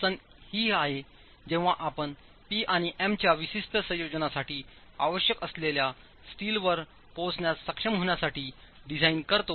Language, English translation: Marathi, The difficulty is when you deal with design to be able to arrive at the steel required for a specific combination of P and M